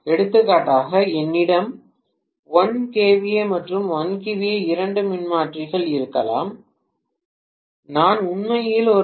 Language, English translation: Tamil, For example, I may have 1 kVA and 1 kVA two transformers, I might like to actually supply 1